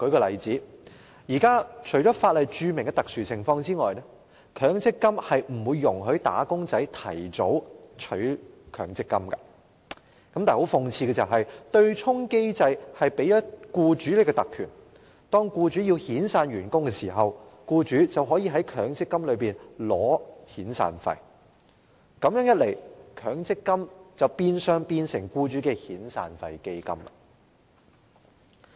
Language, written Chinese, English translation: Cantonese, 現時除法例註明的特殊情況外，強積金並不容許"打工仔"提早取出強積金，但諷刺的是，對沖機制卻賦予僱主特權，當他們要遣散員工時，便可從強積金中提取遣散費，這樣一來，強積金變相成為僱主的遣散費基金。, At present except under special circumstances stated in the law MPF does not allow wage earners to make early withdrawal . But ironically the offsetting mechanism has conferred privileges on employers . When they wish to lay off their staff members they can draw on MPF to make severance payments